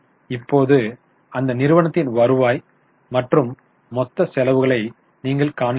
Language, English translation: Tamil, Now you see you have revenue and you have got total expenses